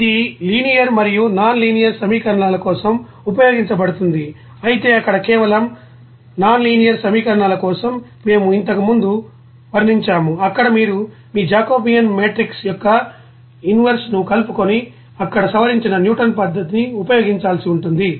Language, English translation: Telugu, And this can be used for linear and nonlinear equations but for only nonlinear equations there we have described earlier that you have to use modified you know Newton's method there just incorporating that inverse of your Jacobian matrix there, that we have described earlier